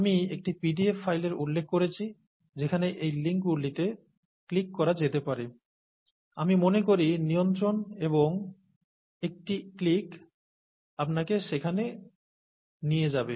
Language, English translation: Bengali, I did mention a file, a pdf file that would have these links that can be clicked, I think control and a click would take you there